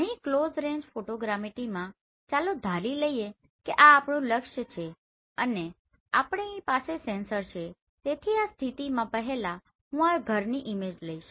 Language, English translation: Gujarati, Here in close range photogrammetry let us assume this is my target right and we have sensors with us so first I will pay from this position the image of this house